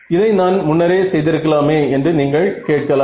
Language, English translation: Tamil, Now you can ask I could have done this earlier also right